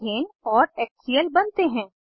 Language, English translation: Hindi, Ethane and HCl are formed